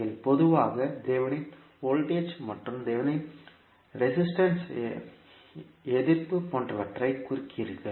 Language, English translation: Tamil, You generally represent it like thevenin voltage and the thevenin resistance